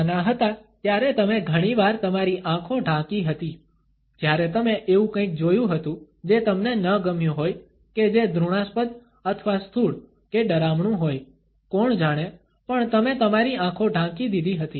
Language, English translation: Gujarati, younger did you ever cover your eyes, when you saw something that you did not like or that what is disgusting or gross or scary, who knows, but you covered your eyes